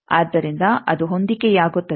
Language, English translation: Kannada, So, that it becomes matched